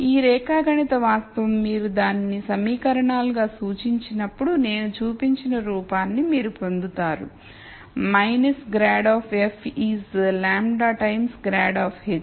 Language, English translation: Telugu, This geometric fact when you represent it as equations, you would get the form that I showed which is minus grad of f is lambda times grad of h